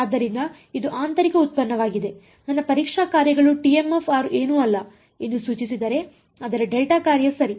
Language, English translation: Kannada, So, this is a inner product, if implies that my testing functions t m of r is nothing, but a delta function ok